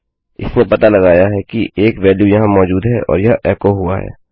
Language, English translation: Hindi, Its detected that a value is present here and its echoed out